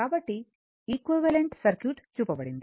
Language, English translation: Telugu, So, equivalent circuit is shown